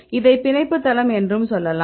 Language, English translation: Tamil, So, this you can say as the binding site